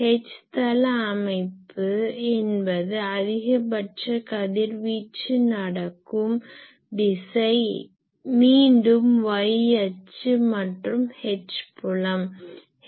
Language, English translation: Tamil, H plane pattern means the direction of maximum radiation, again that y axis and the H field